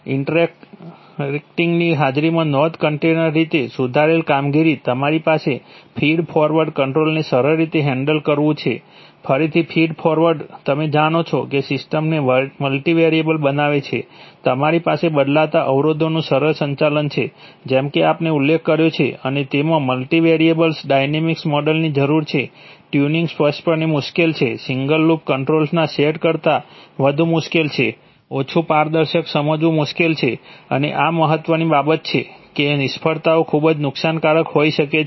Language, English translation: Gujarati, Alright, so you have Significantly improved performance in presence of interaction, you have easy handling a feed forward control, again feed forward is you know tends to make the system multivariable, you have easy handling of changing constraints, as we have mentioned and it requires a multivariable dynamic model, tuning is obviously difficult, much more difficult than a set of single loop controls, difficult to understand less transparent and this is important thing, that that failures can be very damaging